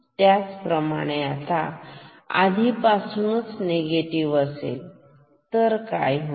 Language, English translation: Marathi, Similarly, now once this is already negative then what will happen ok